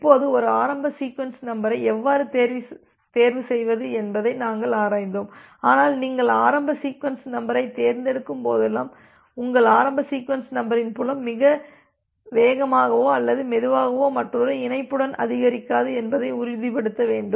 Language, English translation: Tamil, Now, we have looked into that how to chose a initial sequence number, but whenever you are choosing the initial sequence number you have to ensure that well your initial sequence the sequence number field does not increase too fast or too slow such that it gets overlapped with another connection